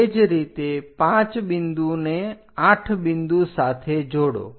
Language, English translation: Gujarati, Similarly, join 5th one to point 8